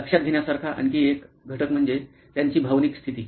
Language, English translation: Marathi, Another element to notice is their emotional status